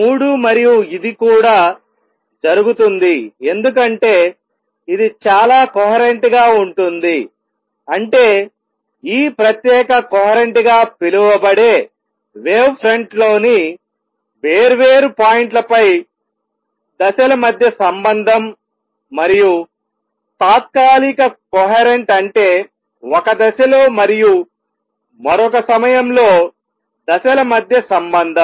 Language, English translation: Telugu, Three and that also happens because this is highly coherent; that means, the relationship between phase on different points on the wave front which is known as this special coherence and temporary coherence that is the relationship between phase at one time and the other time